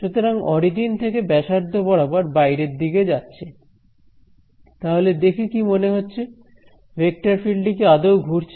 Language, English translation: Bengali, So, from the origin going radially outwards; so, does this look like a vector field that is swirling in anyway